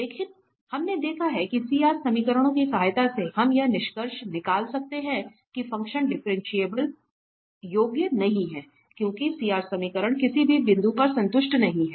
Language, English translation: Hindi, But what we have observed that with the help of CR equations, we can conclude the same that the function is not differentiable, because the CR equations are not satisfied at any point